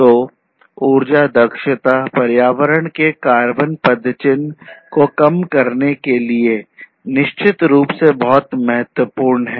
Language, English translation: Hindi, So, energy efficiency is definitely very important you know reducing carbon footprint on the environment, this is definitely very important